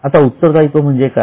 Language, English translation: Marathi, Now, what is meant by a liability